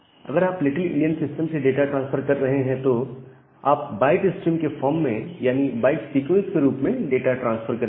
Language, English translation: Hindi, Now, if you are transferring data from a little endian system, you will transfer the data in the form of a byte stream in the sequence of bytes